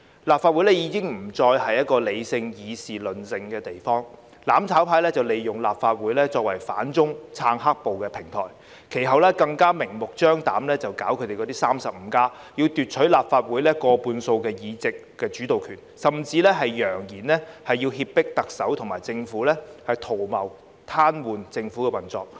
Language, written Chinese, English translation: Cantonese, 立法會已經不再是一個理性議事論政的地方，"攬炒派"利用立法會作為反中、撐"黑暴"的平台，其後更明目張膽舉辦 "35+"， 要奪取立法會過半數議席，即主導權，甚至揚言要脅迫特首和政府，圖謀癱瘓政府的運作。, The Legislative Council was no longer a place for rational political discussion . The mutual destruction camp had used the Legislative Council as a platform to oppose China and support black - clad violence and later they further blatantly organized the 35 campaign to seize more than half of the seats namely the dominant power in the Legislative Council . They even threatened to coerce the Chief Executive and the Government and attempted to paralyse the operation of the Government